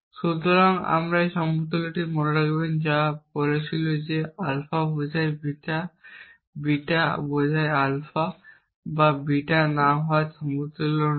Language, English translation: Bengali, So, remember this equivalence which said that alpha implies beta is not equivalent to not alpha or beta